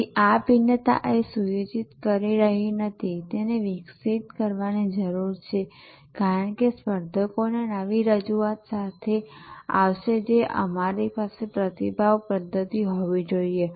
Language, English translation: Gujarati, So, this differentiation is not setting it needs to evolve as the competitors will come up with new offerings you have to have a response mechanism